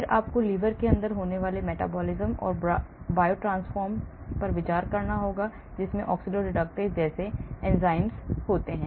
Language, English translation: Hindi, then you have to consider the metabolism and biotransformation that are taking place inside in the liver, enzymes like oxidoreductases, hydroxylation